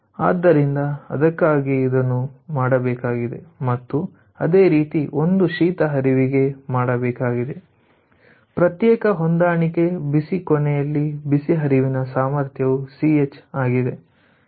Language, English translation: Kannada, so that is why ah this has to be done and similarly this is for cold stream also for individual match, hot end ch, the hot stream capacity ah rate